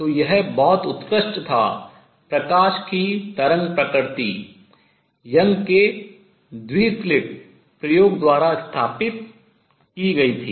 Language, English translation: Hindi, The wave nature of light was established by Young’s double slit experiment